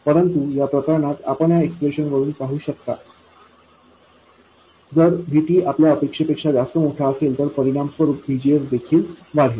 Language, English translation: Marathi, But in this case, you can see from this expression, if VT is larger than you expected, VGS also would increase correspondingly